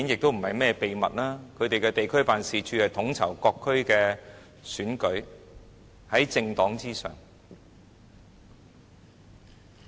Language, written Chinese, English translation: Cantonese, 他們的地區辦事處統籌各區的選舉，是在政黨之上。, Their district offices are tasked to coordinate elections in various districts being superior to political parties